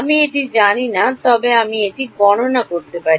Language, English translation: Bengali, I do not know it, but can I calculate it